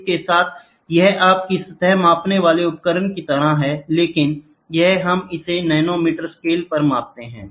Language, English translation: Hindi, With it is just like your surface measuring device, but here we measure it at nanometre scales